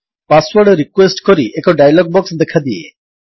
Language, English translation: Odia, A dialog box, that requests for the password, appears